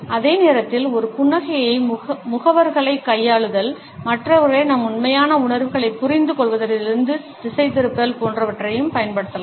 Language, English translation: Tamil, At the same time, a smiles can also be used in an effective way as manipulating agents, distracting the other people from understanding our true feelings